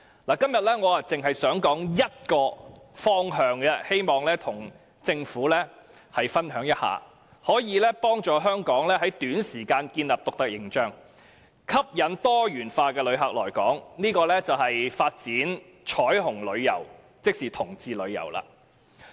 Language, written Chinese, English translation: Cantonese, 我今天只想談一個方向，希望與政府分享一下，以幫助香港在短時間內建立獨特形象，吸引不同類型的旅客來港，便是發展彩虹旅遊，即同志旅遊。, Today I just wish to talk about one direction to share with the Government in the hope of helping Hong Kong establish a unique image within a short time and attract different kinds of visitors that is to develop LGBT tourism